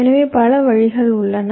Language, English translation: Tamil, so there are so many ways, right